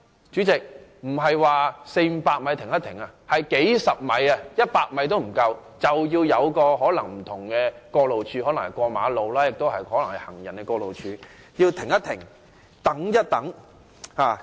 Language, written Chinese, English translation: Cantonese, 主席，並非四五百米要停一下，而是不足一百米，甚至只是數十米，便因有行人過路處或馬路而需要"停一停，等一等"。, President instead of an interval of 400 m or 500 m we had to stop at an interval of less than 100 m or even several dozen metres . We had to pause and wait whenever we came to a pedestrian crossing or a road